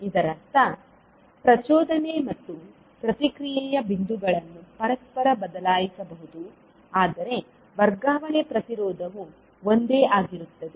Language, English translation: Kannada, It means that the points of excitation and response can be interchanged, but the transfer impedance will remain same